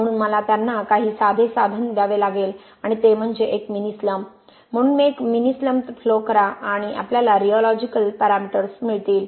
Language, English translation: Marathi, So I need to give them some simple tool and that is a mini slump, so do a mini slump flow right so we have rheological parameters